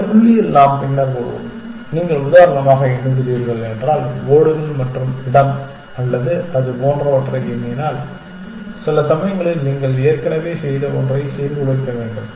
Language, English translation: Tamil, We will come to this point later in the sense that if you are counting for example, the number of tiles and place or something like that then at some point you have to disrupt something that you have already done